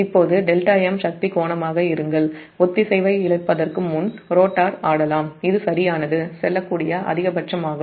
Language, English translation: Tamil, now delta m be the power angle to which the rotor can swing before losing synchronous